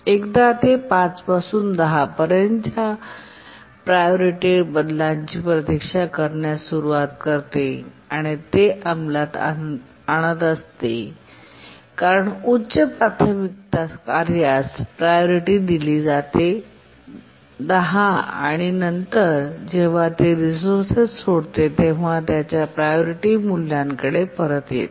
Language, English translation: Marathi, Sorry, once it starts waiting, its priority changes from 5 to 10 and it keeps on executing as a high priority task with priority 10 and then as it religious resource it gets back its own priority value